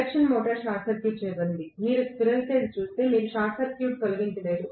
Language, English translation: Telugu, Induction motor is short circuited if you look at the squirrel cage, you cannot remove the short circuit